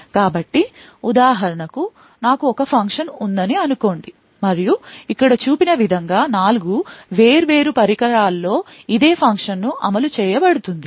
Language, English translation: Telugu, So, for example, let us say that I have a function and this exactly same function is implemented in 4 different devices as shown over here